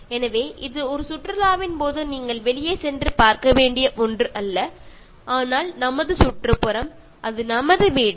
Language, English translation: Tamil, ” So, it is not something that you go out and see during a picnic, but it is our surrounding, it is our home